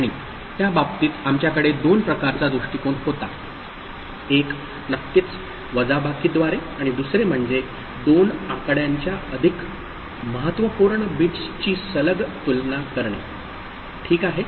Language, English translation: Marathi, And in that case we had two kinds of approach: one is of course by subtraction and another is by comparing the more significant bits of two numbers successively, ok